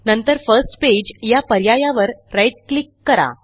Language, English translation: Marathi, Then right click on the First Page option